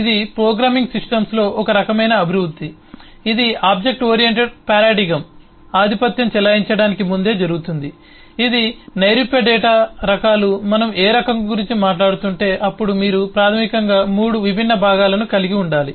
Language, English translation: Telugu, this is a kind of eh development into programming systems which happen, eh, quite before the object oriented paradigm became dominant, which abstract data types have to say that, if we are talking about any type, basically have 3 different components that you need to deal with eh